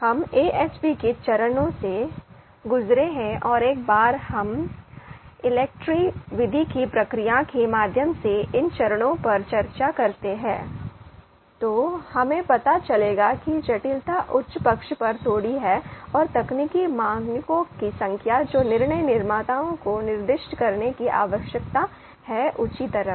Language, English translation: Hindi, So something that you know, steps we have gone through AHP and once we discuss these steps through the procedure of ELECTRE method, then we will get to know that the complexity is a little on the higher side and the number of technical parameters you know which we need to which the decision makers need to specify they are on the higher side